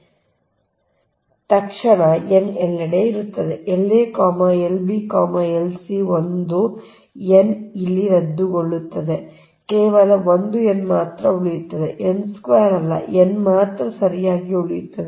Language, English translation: Kannada, so as soon as you submit substitute here that n will be everywhere: l a, l, b, l, c, one n, one n will be cancel here, only one n will be remained, not n square, only n will be remaining right